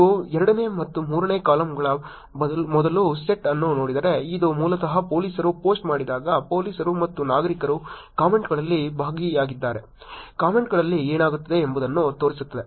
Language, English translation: Kannada, If you look at the first set of columns which is the second and the third column, this is basically showing that when police does the post what happens to the comments if police and citizens are involved in the comments